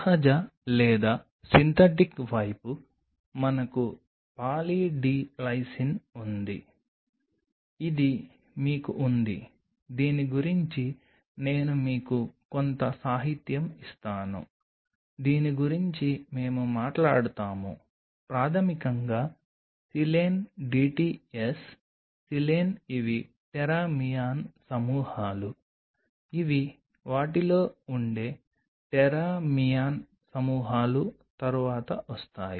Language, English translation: Telugu, Whereas in the natural or the synthetic side we have Poly D Lysine we have this one I will be giving you some literature on this one we will talk about this is basically a Silane dts silane these are teramean groups which are present in them come later into that